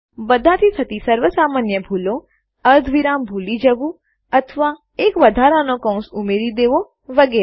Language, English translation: Gujarati, Everyone makes such mistakes missing either a semicolon or adding an extra bracket or something like that